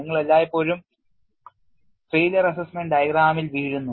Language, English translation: Malayalam, Now you are equipped with failure assessment diagram